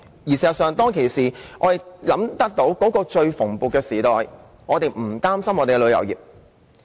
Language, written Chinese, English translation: Cantonese, 事實上，在當年文創產業最蓬勃的時代，我們不用擔心本地的旅遊業。, In fact in those prosperous years of our cultural and creative industry we did not need to worry about our tourist industry